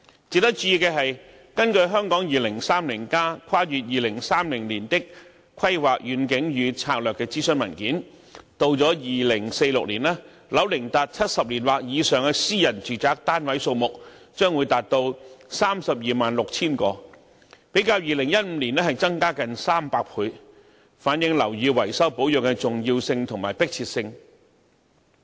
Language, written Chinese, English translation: Cantonese, 值得注意的是，根據《香港 2030+： 跨越2030年的規劃遠景與策略》諮詢文件，到了2046年，樓齡達70年或以上的私人住宅單位數目將達到 326,000 個，比2015年增加近300倍，反映樓宇維修保養的重要性和迫切性。, It is noteworthy that according to the consultation papers of Hong Kong 2030 Towards a Planning Vision and Strategy Transcending 2030 in 2046 the number of private residential units aged 70 years or above will reach 326 000 300 times more than that in 2015 reflecting the importance and urgency of repairs and maintenance of buildings